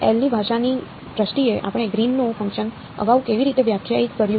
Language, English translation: Gujarati, How did we define the greens function earlier in terms of the language of L